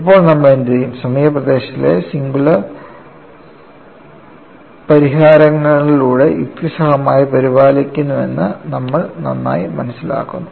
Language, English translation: Malayalam, Now, what we will do is, we understand very well, that the near vicinity is reasonably taken care of by the singular solution